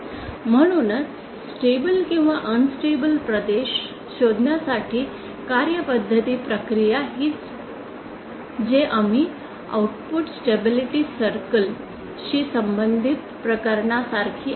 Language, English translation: Marathi, So again the process procedure to find out the stable or unstable region is the same as that the case we dealt with the output stability circle